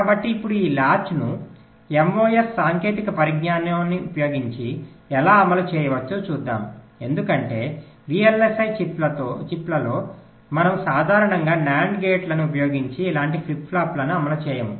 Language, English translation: Telugu, so now let us see, ah these latches, how they can be implemented using mos technology, because in v l s i chips we normally do not implement flip flops like this using nand gates